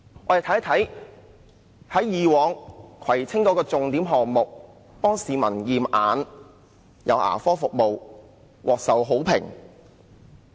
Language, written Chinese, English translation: Cantonese, 我們看一看葵青區以往的重點項目：為市民提供驗眼及牙科服務，都獲受好評。, Let us take a look at the Kwai Tsing District Councils signature projects in the past the optometricocular examination and dental care services were well received